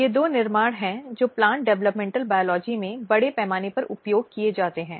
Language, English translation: Hindi, So, there is these two construct which are very extensively used in plant developmental biology